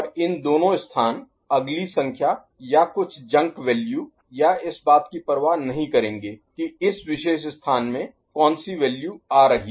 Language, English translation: Hindi, And these two places the next number or some junk value or would not care which value are entering in this particular place right